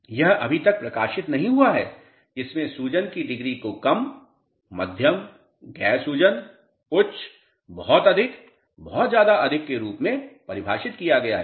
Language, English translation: Hindi, It is not published yet where degree of swelling has been defined as low, moderate, non swelling, high, very high, extremely high